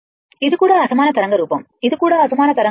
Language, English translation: Telugu, This is also ah unsymmetrical waveform this is also unsymmetrical waveform